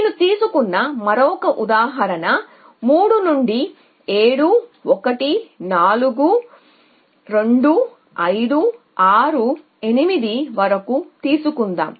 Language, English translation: Telugu, This choice I that I am going from 3 to 7 to 1 to 9 to 4 to 2 to 5 to 6 to 8